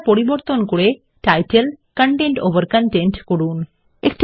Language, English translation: Bengali, Change the layout to title, content over content